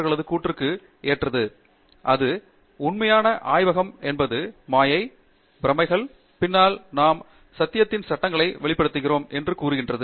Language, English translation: Tamil, And it simply says, “The true laboratory is the mind, where behind illusions we uncover the laws of truth”